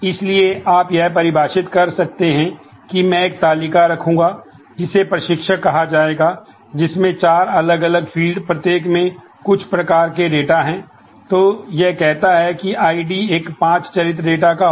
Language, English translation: Hindi, So, you can define that I will am going to have a table called instructor which will have four different fields, each having certain types of data